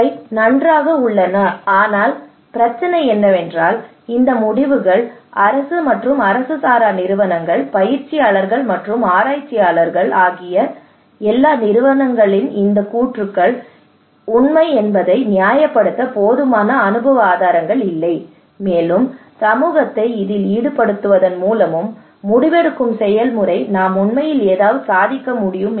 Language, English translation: Tamil, These are fine, but the problem is that these outcomes, these claims by different organizations both government and non governmental organisations, both practitioners and the researchers, the problem is that we do not have enough evidence empirical evidence that these claims are really true that through involving community into the decision making process we can really achieve that one, we can really achieve this one this is still unknown